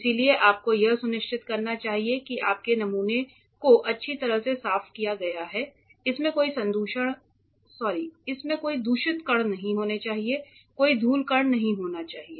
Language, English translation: Hindi, So, you should make sure that your sample is thoroughly cleaned should not have any contaminating particles, no dust particles and all as much as possible that is regarding samples